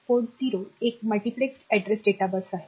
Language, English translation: Marathi, Port 0 is the multiplexed addressed data bus